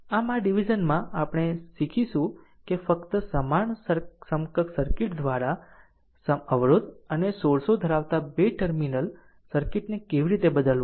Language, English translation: Gujarati, So, in this section, we will learn how to replace two terminal circuit containing resistances and sources by simply equivalent circuit that you have learned